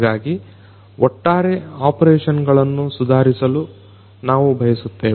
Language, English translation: Kannada, So, overall we want to improve the operations